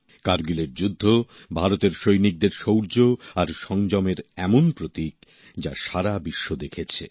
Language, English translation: Bengali, The Kargil war is one symbol of the bravery and patience on part of India's Armed Forces which the whole world has watched